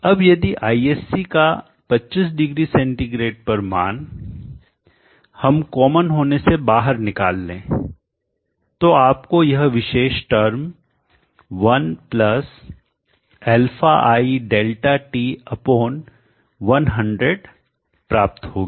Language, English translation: Hindi, Now if you take out ISC at 250C out as a common factor you will get this particular term 1 + ai